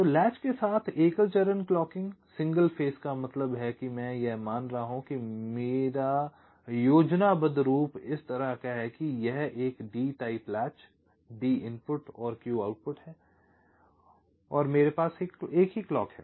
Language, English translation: Hindi, single phase means here i am assuming that my schematic looks like this its a d type latch, d input, ah, q output and i have a single clock